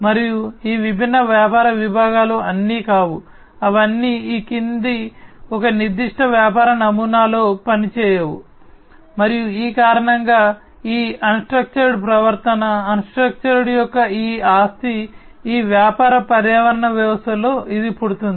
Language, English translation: Telugu, And these different business segments are not all, they do not all function in the following a particular business model and because of which this unstructured behavior, this property of unstructuredness, this arises in these business ecosystems